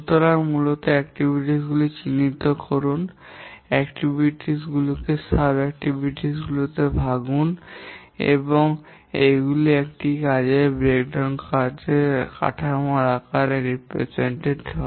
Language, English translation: Bengali, So basically identify the activities, break the activities into sub activities and so on and this is represented in the form of a work breakdown structure